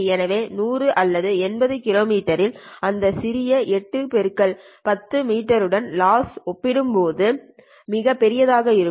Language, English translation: Tamil, So at 100 or 80 kilometers that would be very, very large compared to this small 8 into 10 meter loss